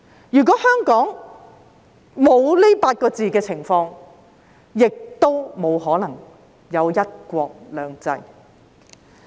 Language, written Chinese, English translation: Cantonese, 如果香港沒有這8個字所述的情況，也沒可能有"一國兩制"。, If Hong Kongs situation does not meet this description it will be impossible to have one country two systems